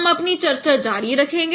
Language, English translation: Hindi, We will continue this discussion